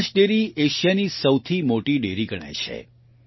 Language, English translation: Gujarati, Banas Dairy is considered to be the biggest Dairy in Asia